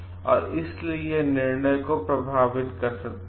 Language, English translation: Hindi, So, and that may affect the decision making